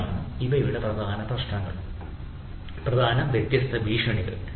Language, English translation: Malayalam, these are the different threats which are there